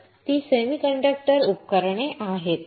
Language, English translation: Marathi, So, that is that semiconductor devices